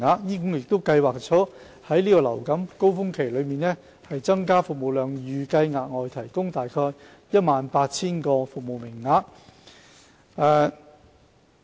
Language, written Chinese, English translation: Cantonese, 醫管局亦計劃在流感高峰期增加服務量，預計額外提供約 18,000 個服務名額。, Moreover HA plans to increase the service capacity of GOPCs during the influenza winter surge and provide around 18 000 additional service quotas